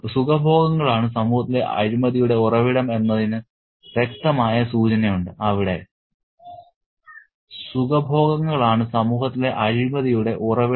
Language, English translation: Malayalam, And there is a clear indication that the pleasures are the source of corruption in society